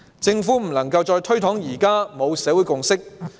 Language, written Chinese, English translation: Cantonese, 政府不能再推搪說現時沒有社會共識。, The Government can no longer give the excuse that the community has not reached a consensus